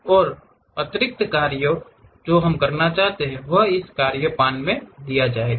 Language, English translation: Hindi, And additional task what we would like to do, that will be given at this task pan